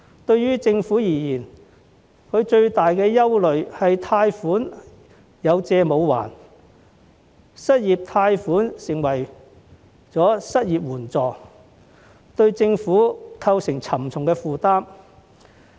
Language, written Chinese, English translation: Cantonese, 對政府而言，最大的憂慮是貸款"有借無還"，失業貸款成為失業援助，對政府構成沉重負擔。, To the Government the greatest concern is that the loans granted will not be repaid and unemployment loans serving as unemployment assistance will pose a heavy burden on the Government